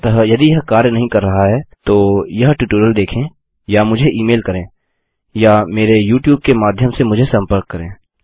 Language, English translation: Hindi, So if this doesnt work for you watch that tutorial or just drop me an email or contact me through my youtube